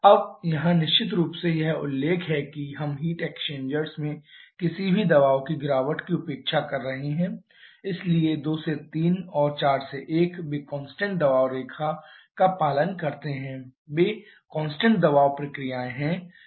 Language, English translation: Hindi, To point number 4 now here of course we have to it is mentioned that we are neglecting any pressure drop in the heat exchangers so 2 to 3 and 4 to 1 they just follow the constant pressure line their constant pressure processes